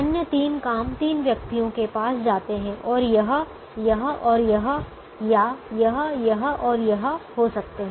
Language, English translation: Hindi, the other three jobs go to the three persons this, this and this, or it could be this, this and this